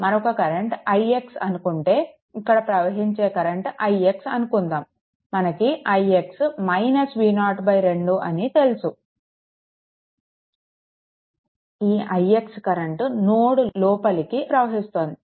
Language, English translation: Telugu, Another current say i x we will take this i x so, we know i x is equal to minus V 0 by 2 another current i x, it is entering into this node